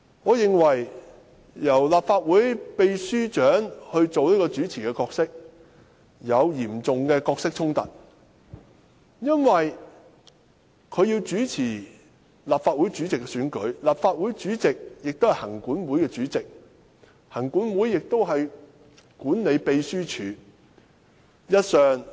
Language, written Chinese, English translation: Cantonese, 我認為由立法會秘書長擔任主持，會有嚴重的角色衝突，因為立法會主席是行政管理委員會的主席，行政管理委員會管理秘書處。, I am of the view that asking the Secretary General to chair the meeting will involve a serious role conflict because the President of the Legislative Council chairs the Legislative Council Commission which oversees the Secretariat